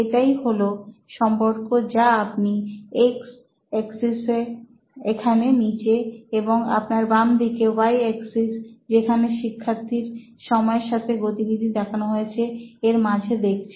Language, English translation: Bengali, So that’s the relationship between what you see on the x axis, x axis here at the bottom and at your left is the y axis where you are tracking on time performance of the student